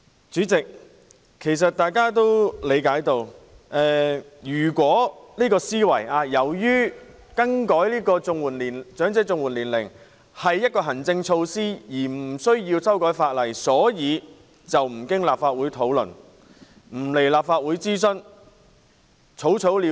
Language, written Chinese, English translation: Cantonese, 主席，其實大家也理解到，政府的思維是由於調整申領長者綜援的年齡是行政措施，故無須修改法例，因而無須經立法會討論及在立法會進行諮詢，可以草草了事。, President in fact we understand that according to the mindset of the Government it is not necessary to introduce legislative amendments since adjusting the eligibility age for elderly CSSA is an administrative measure such that it is not necessary to undergo deliberation and consultation in the Legislative Council rendering it an exercise which can be rashly done